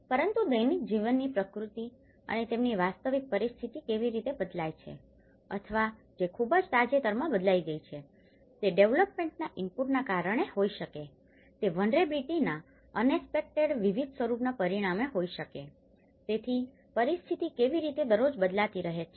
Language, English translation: Gujarati, But the nature of the daily life and how their actual situation changes or which may have changed very recently, it could be through the development input, it could be by the vulnerability as a result of the unexpected different forms of vulnerability, so how a situation is changing every day